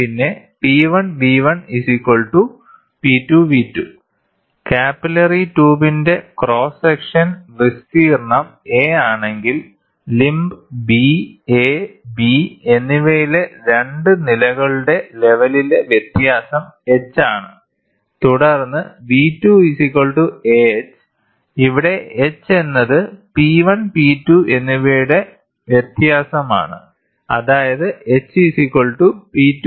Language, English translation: Malayalam, If the cross section area of the capillary tube is a and the difference in the level of the 2 columns in limb B and A and B is h, then V 2 equal to equal to a into h; h is the difference of P 1 P 2; that is h P 2 minus P 1